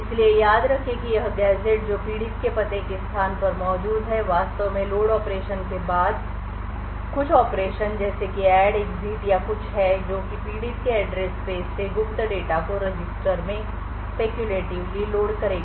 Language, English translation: Hindi, So, recall that this gadget which is present in the victim's address space is actually having some operations like add, exit or something followed by a load operation which would speculatively load secret data from the victim's address space into a register